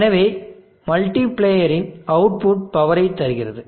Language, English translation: Tamil, So output of the multiplier gives the power